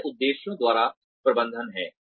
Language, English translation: Hindi, That is management by objectives